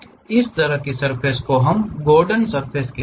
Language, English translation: Hindi, That kind of surfaces what we call Gordon surfaces